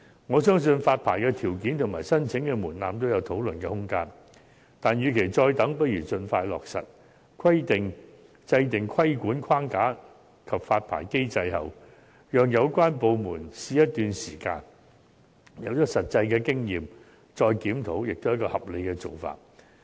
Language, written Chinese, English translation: Cantonese, 我相信發牌條件及申請門檻均有討論的空間，但與其再等，倒不如盡快落實，讓有關部門在訂立規管框架及發牌機制，並試行一段時間，取得一些實際經驗後再作檢討，也是合理的做法。, I believe there is still room for discussion for both the licensing requirements and the application threshold . And yet instead of putting the relevant legislation on hold we should expeditiously put it into effect so that the relevant department can develop the regulatory framework and licensing regime for implementation . It would be reasonable to undertake a review after we have obtained some practical experiences